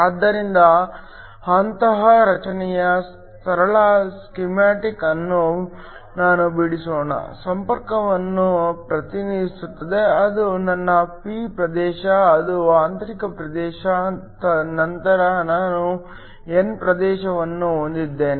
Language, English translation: Kannada, So, Let me draw a simple schematic of such a structure, represents the contact, it is my p region, that is the intrinsic region, then I have the n region